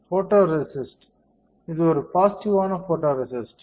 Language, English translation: Tamil, So, photoresist, this is positive photoresist